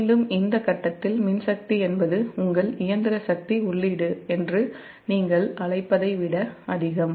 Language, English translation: Tamil, then again, at this point, that electrical power is more than your, what you call that, your mechanical power input